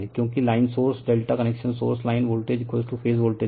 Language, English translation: Hindi, Because, line source are delta correction source line voltage is equal to phase voltage